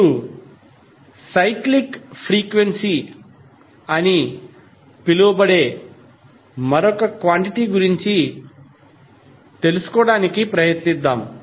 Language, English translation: Telugu, Now let's try to find out another quantity which is called cyclic frequency